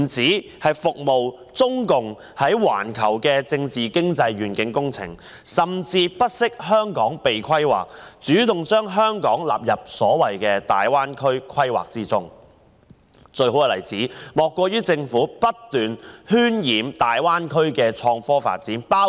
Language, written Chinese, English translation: Cantonese, 這不止是為中共在環球政治經濟的願景工程服務，甚至不惜香港被規劃也要主動將香港納入大灣區規劃，而最好的例子，莫過於政府不斷渲染大灣區的創科發展。, This has not only served to realize the vision project of the Communist Party of China on global political and economic development but has also proactively included Hong Kong into the planning of the Greater Bay Area . The best example is that the Government has been continuously exaggerating the development of innovation and technology in the Greater Bay Area